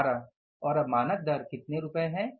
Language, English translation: Hindi, What was the standard rate